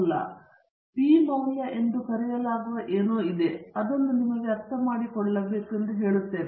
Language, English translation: Kannada, There is something called as the p value, but I would leave that for you to understand yourself